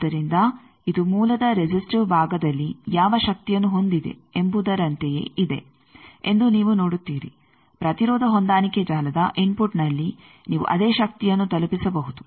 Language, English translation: Kannada, So, you see that this is same as what power is having at the resistive part of the source the same power you can deliver at the input of the impedance matching network